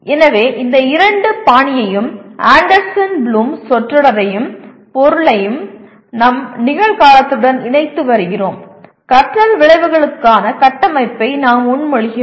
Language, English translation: Tamil, So we are combining these two Mager style and the phrase and object of Anderson Bloom into our present, we are proposing a structure for the learning outcomes